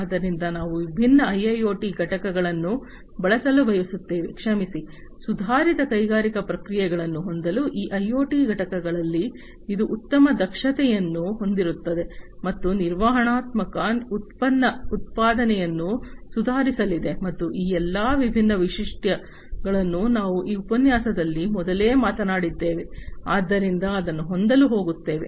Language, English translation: Kannada, So, we want to use these different IIoT components, sorry, in this IoT components in it in order to have improved industrial processes, which will have you know better efficiency, and manageability, product production is going to be improved and all these different features that we have talked about in this lecture earlier, so going to have that